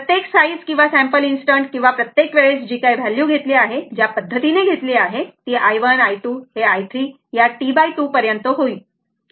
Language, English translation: Marathi, Every, size or sampling instant or every time whatever you take the way you take right suppose this is i 1, i 2, i 3 up to this will come up to T by 2 right, up to T by 2 will come